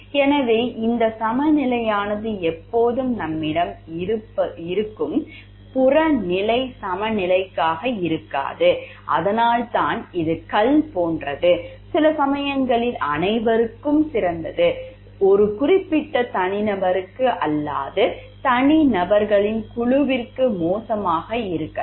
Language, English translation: Tamil, So, this balance may not always be a very objective balance that we have, that is why it is stone like sometimes what is best for everyone may be bad for a particular individual or a group of individuals